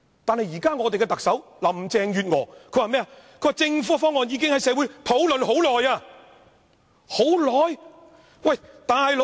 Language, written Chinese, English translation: Cantonese, 但現任特首林鄭月娥卻說政府的方案已在社會經過長時間討論。, But then Carrie LAM the present Chief Executive now says that the Governments co - location proposal has been discussed in society for a very long time